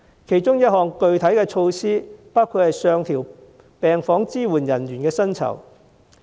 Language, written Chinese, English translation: Cantonese, 其中一項具體措施包括上調病房支援人員薪酬。, One of the specific measures is to increase the salary of ward supporting staff